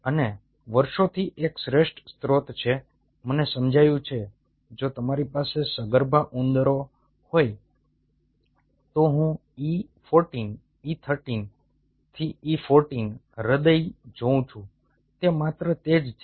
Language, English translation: Gujarati, over the years, what i have realized: if you have access to a pregnant rats, i would see e fourteen, e thirteen to e fourteen hearts